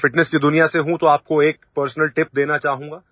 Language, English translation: Hindi, I am from the world of fitness, so I would like to give you a personal tip